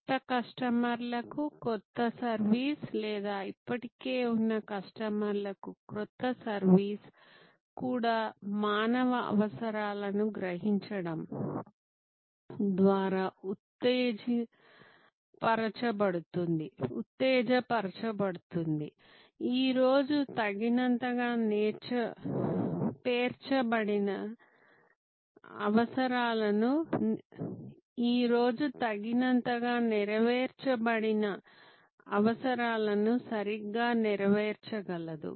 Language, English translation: Telugu, new service to new customers or even new service to existing customer can be stimulated by sensing human needs sensing needs that are not properly fulfilled not adequately met today